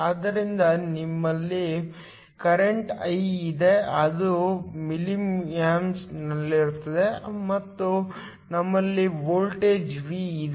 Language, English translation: Kannada, So, we have current I that is in milliamps, and we have voltage V